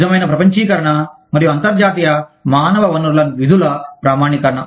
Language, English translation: Telugu, True globalization and standardization of international human resource functions